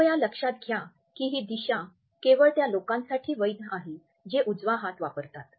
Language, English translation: Marathi, Please note that this direction is valid only for those people who are right handed